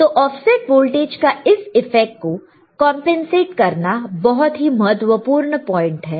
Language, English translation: Hindi, Now, how to compensate then this effect of offset voltage very important point, very important ok